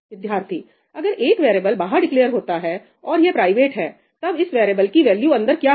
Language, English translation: Hindi, If a variable is declared outside and it is private, then what is the value of the variable inside